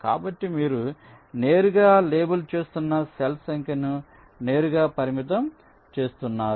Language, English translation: Telugu, so you are directly restricting the number of cells you are labeling right now